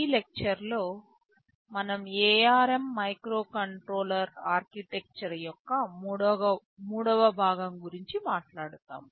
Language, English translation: Telugu, In this lecture we shall be talking about the Architecture of ARM Microcontroller, the third part of it